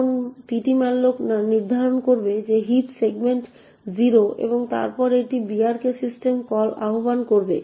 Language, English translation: Bengali, Now the ptmalloc would determining that the heap segment is 0 and then it would invoke the brk system call